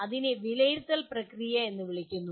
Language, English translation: Malayalam, That is called evaluation process